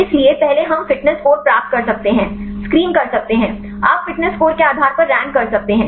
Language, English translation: Hindi, So, first we can get the fitness score, we can screen; you can rank based on fitness score